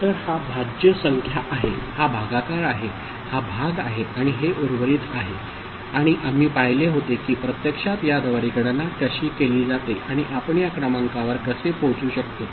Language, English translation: Marathi, So, the this is the dividend, this is the divisor, this is the quotient and this is the remainder and we had seen how it actually is getting calculated through this and how we can arrive at these numbers